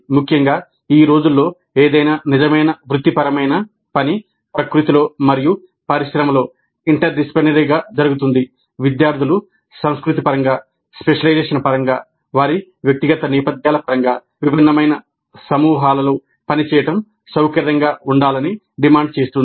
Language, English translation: Telugu, Essentially any real professional work nowadays happens to be interdisciplinary in nature and industry demands that students become comfortable with working in groups which are diverse in terms of culture, in terms of specialization, in terms of their professional backgrounds